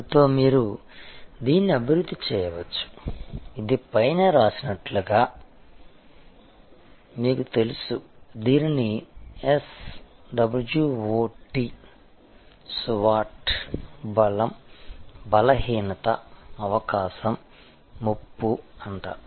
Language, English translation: Telugu, So, with that you can develop this, this is you know on top as is it written, it is called SWOT Strength Weakness Opportunity Threat